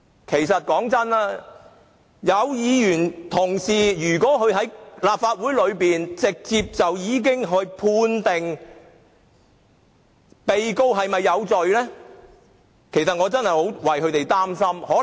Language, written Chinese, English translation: Cantonese, 坦白說，若有議員同事在立法會會議上直接判定被告有罪，我實在替他們憂心。, Frankly speaking I am worried about Members who has jumped to the conclusion at the Legislative Council meeting that the defendant is guilty